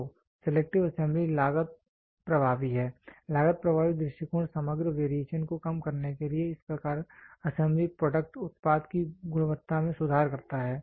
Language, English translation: Hindi, So, selective assembly is the cost effective, cost effective approach to reduce the overall variation thus improving the quality of the assembly product